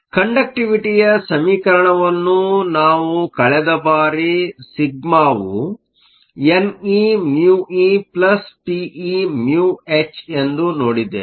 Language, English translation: Kannada, We also saw the conductivity equation last time sigma is n e mu e plus p e mu h